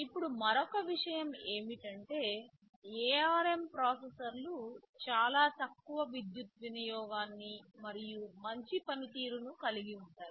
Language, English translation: Telugu, Now another thing is that this ARM processors they have very low power consumption and of course, reasonably good performance